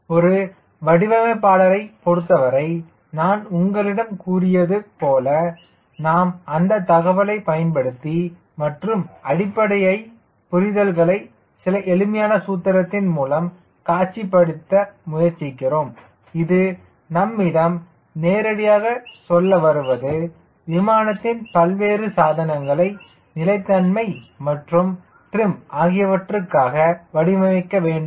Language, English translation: Tamil, for a designer, as i have told you, we use those information and try to visualize this basic understanding troughs some simplistic formulation which can directly tell, tell me what i should do as per as designing the various components of aeroplane which your amount into stability and trim right